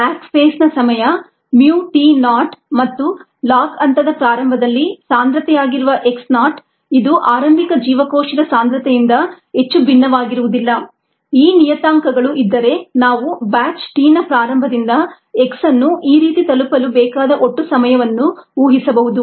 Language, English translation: Kannada, if the parameters mu, t not, which is the lag phase time, and x naught, which is the concentration ah at the beginning of the log phase, which may not be very different from the initial cell concentration, we can predict the total time from the start of the batch t to reach x as this: it is one by mu lon of x by x naught